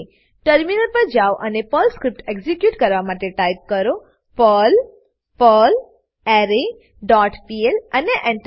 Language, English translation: Gujarati, Then switch to the terminal and execute the Perl script by typing perl perlArray dot pl and press Enter